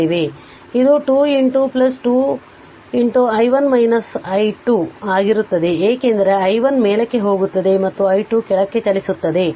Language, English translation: Kannada, So, it will be 2 into plus 2 into i 1 minus i 2 you are moving like this because i 1 is going upward and i 2 moving downwards